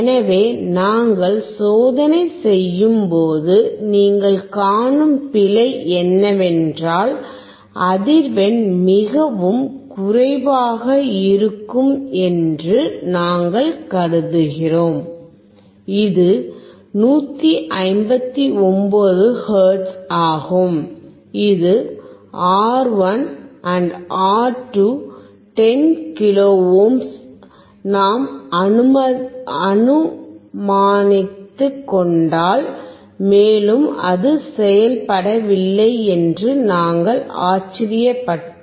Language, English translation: Tamil, So, the error that you see when we were performing the experiment that we were assuming that the frequency would be much lower, which is 159 hertz assuming that R1 and R2 are 10 kilo ohms, and we were surprised that it was not working